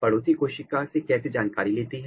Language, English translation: Hindi, how it gets the information from the neighboring cells